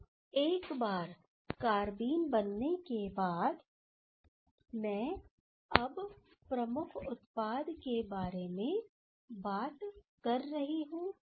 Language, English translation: Hindi, Now, once this carbene generated, again I am now considering on the major product